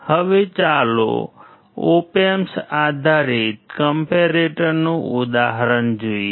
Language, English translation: Gujarati, Now, let us see the example of the op amp based comparator